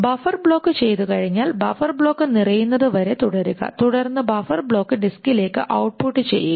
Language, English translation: Malayalam, And once the buffer block is done, continue till buffer block to disk